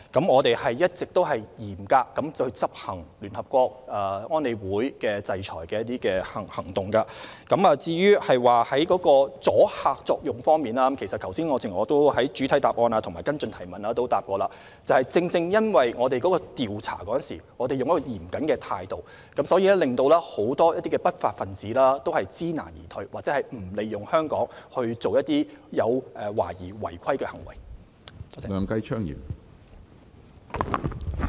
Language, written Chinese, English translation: Cantonese, 我們一直嚴格執行聯合國安理會的制裁行動，至於阻嚇作用方面，正如我剛才在主體和補充答覆時提過，因為我們調查嚴謹，令很多不法分子知難而退，或不會利用香港進行懷疑違法的行為。, We have been strictly enforcing UNSC sanctions . Regarding the deterrent effect as I say in the main reply and in my replies to supplementary questions many offenders back off because of our vigilant investigation and they choose not to use Hong Kong as a base for illegal activities